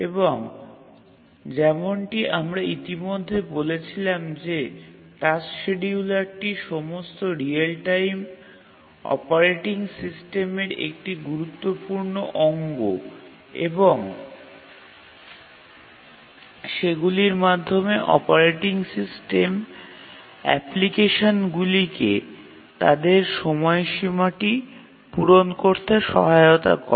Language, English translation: Bengali, And we have already said that the task schedulers are important part of all real time operating systems and they are the primary means by which the operating system helps the applications to meet their deadlines